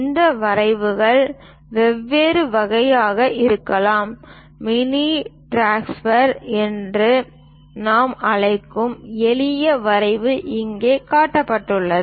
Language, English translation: Tamil, These drafters can be of different types also;, the simple drafter which we call mini drafter is shown here